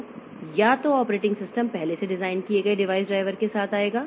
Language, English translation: Hindi, So, either the operating system will come with a previously designed device driver